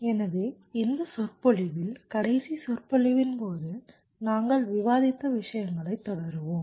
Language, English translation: Tamil, so in this lecture we shall be continuing with what we were discussing during the last lecture